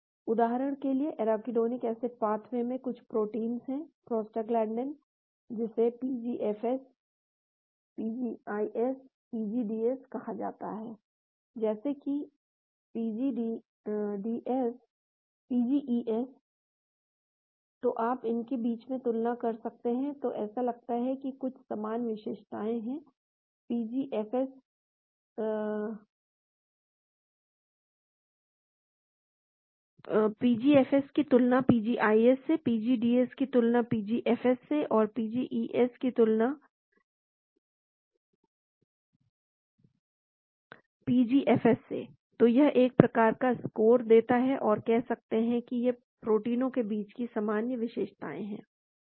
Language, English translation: Hindi, For example, there are some proteins in the arachidonic acid pathway, prostaglandin, called PGFS, PGIS, PGDS, just like PGES, so you can compare between, then it seems there are some common features, PGFS verses PGIS, PGDS verses PGFS, PGES verses PGIS, PGES verses PGFS, so it can give some sort of a score and say these are the common features between these proteins